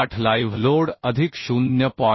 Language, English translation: Marathi, 8 live load plus 0